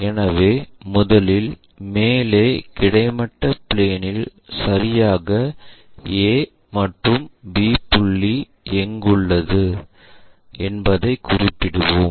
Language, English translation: Tamil, So, first of all we locate where exactly A point, B point are located in above horizontal plane